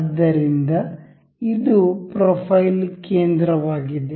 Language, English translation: Kannada, So, this here is profile center